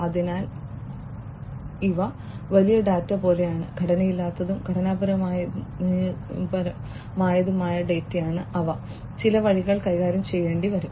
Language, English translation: Malayalam, So, these are like big data, non structured as well as structured data, which will have to be handled in certain ways